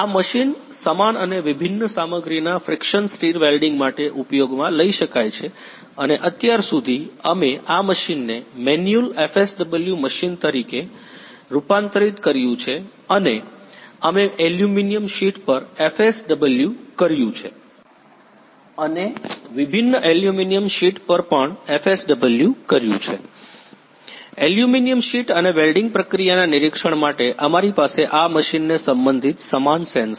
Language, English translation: Gujarati, This machine can be used for the of friction stir welding of similar and dissimilar material and so far we have converted this machine as a manual FSW machine and we have performed FSW on aluminum sheet and also on aluminum sheet dissimilar aluminum sheet and for monitoring the welding process we have inter related this machine with the same sensor